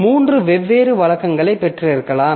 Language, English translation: Tamil, So, there may be I have got three different routines